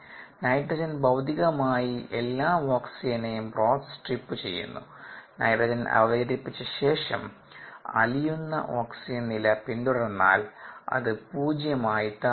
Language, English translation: Malayalam, nitrogen physically strips the broth of all the oxygen and if we follow the dissolved oxygen level with time after nitrogen is introduced, then it drops down to zero after sometime